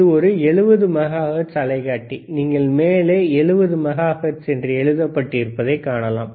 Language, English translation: Tamil, These are 70 megahertz oscilloscope, you can you can see on the top the 70 megahertz, all right